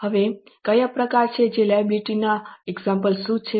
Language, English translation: Gujarati, Now, what are the types and what are the examples of those liabilities